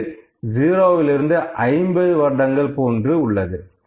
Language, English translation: Tamil, I can show age from 0 to 50 years, ok